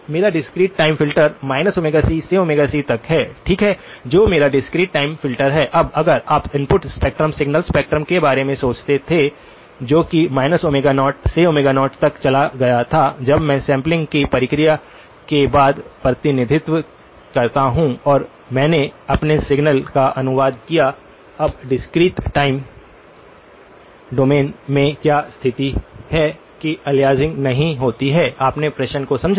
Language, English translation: Hindi, So, my discrete time filter is from minus Omega c to Omega c, right that is my discrete time filter, now if you were to think of the input spectrum signal spectrum as something that went from minus Omega naught to Omega naught when I when I represent it in after the sampling process and I translated my signal into; now, what is the condition in the discrete time domain that I do not get aliasing, you understood the question